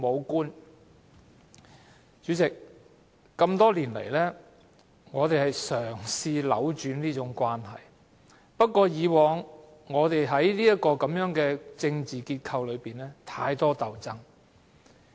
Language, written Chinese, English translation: Cantonese, 代理主席，多年來，我們嘗試扭轉這種關係，但以往在這個政治結構中，實在太多鬥爭。, Deputy President we have been trying for years to change this relationship . Yet in the past there were too many power struggles within this political structure